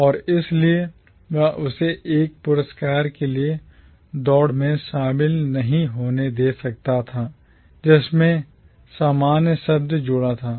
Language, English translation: Hindi, And, therefore, he could not allow it to be included within the race for a prize that had the word commonwealth associated with it